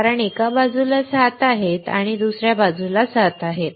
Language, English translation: Marathi, Because there are 7 on one side, there are 7 on other side